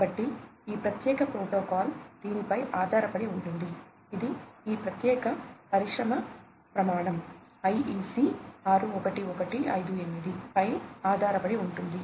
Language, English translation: Telugu, So, this particular protocol is based on this; it is based on this particular industry standard, the IEC 61158